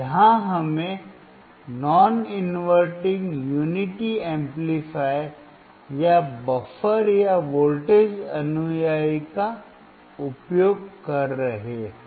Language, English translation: Hindi, Here we are using non inverting unity amplifier, or buffer or voltage follower